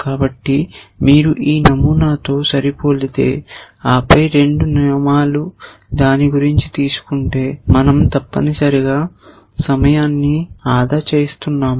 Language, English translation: Telugu, So, if you match this pattern ones and then both the rules come to know about it, then we are saving time essentially